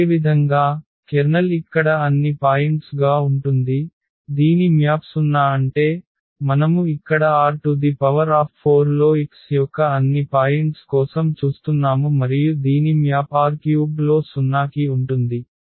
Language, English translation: Telugu, Similarly, the kernel because the kernel will be all the points here whose who map is to 0s; that means, we are looking for all the points x here in R 4 and whose map to the 0 in R 3